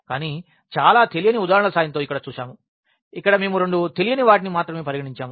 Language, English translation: Telugu, But, we have seen here with the help of very simple examples where we have considered only two unknowns